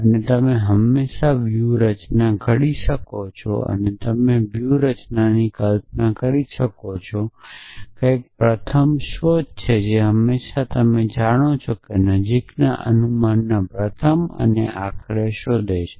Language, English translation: Gujarati, And you can always devise a strategy and you can imagine the strategy something like breath first search that always you know find the nearest inference first and eventually